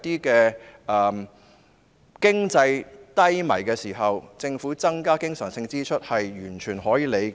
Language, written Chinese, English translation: Cantonese, 在經濟低迷的時候，政府增加經常性支出，是完全可以理解的。, The increase in re - current expenditures of the Government in times of economic downturn is totally understandable